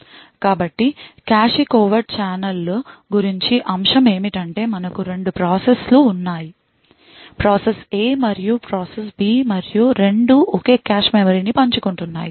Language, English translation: Telugu, So, the aspect about cache covert channels is that we have 2 processes; process A and process B and both are sharing the same cache memory